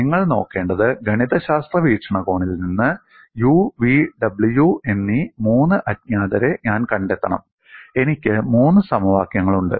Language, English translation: Malayalam, And what you will have to look at is, from mathematical point of view, I have to find out three unknowns u, v and w